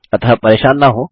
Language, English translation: Hindi, So dont worry